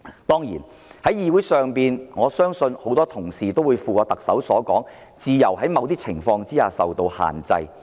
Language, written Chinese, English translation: Cantonese, 在議會上，我相信很多議員也會附和特首，認同自由在某些情況下應受到限制。, In this Council I believe many Members echo with the Chief Executive that freedom should be restricted in some circumstances